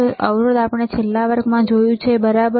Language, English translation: Gujarati, So, resistor we have seen in the last class resistor, right